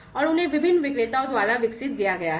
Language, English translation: Hindi, And they have been developed by the different vendors